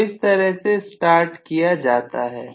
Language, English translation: Hindi, So, this is how the starting is done